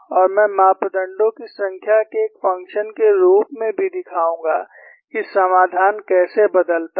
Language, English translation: Hindi, And I will also show, as a function of number of parameters, how the solution changes